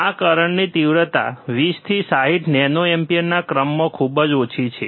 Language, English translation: Gujarati, tThe magnitude of this current is very small, in order of 20 to 60 nano amperes